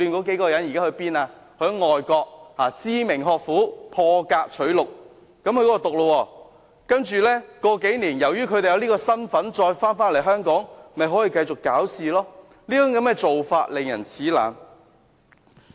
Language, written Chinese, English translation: Cantonese, 他們獲外國知名學府破格取錄；數年後，由於他們有這個身份，回來香港又可以繼續攪事，這種做法令人齒冷。, They have been exceptionally admitted to famous academic institutions abroad . A few years later after graduation from the institutions they will come back and continue to cause trouble in Hong Kong . This is despicable